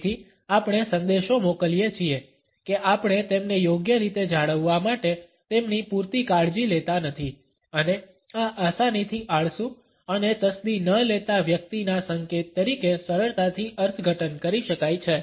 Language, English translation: Gujarati, So, we send the message that we do not care about them enough to maintain them properly and this can be easily interpreted as an indication of a person who is lazy and cannot be bothered